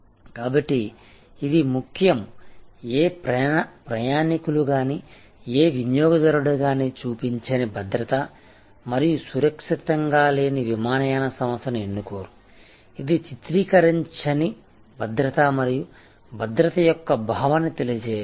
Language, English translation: Telugu, So, it is important, no passenger, no customer will choose an airline, which does not portray does not convey that sense of security and safety